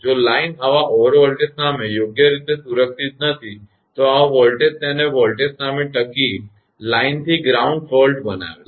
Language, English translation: Gujarati, If the line is not properly protected against such over voltage, such voltage makes it the line to ground fault withstand voltage